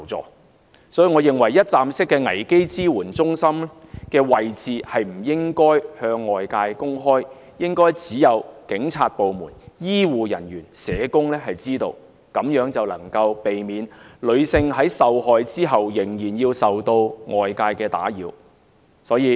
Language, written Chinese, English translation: Cantonese, 因此，我認為一站式危機支援服務中心的位置不應該向外界公開，應該只有警察部門、醫護人員和社工知道，這樣便能夠避免女性在受害後仍然受到外界打擾。, Therefore I suggest that the location of a one - stop crisis support centre should not be disclosed publicly . Only the Police health care and social workers should be informed of the location . Such arrangement can protect female victims from external disturbance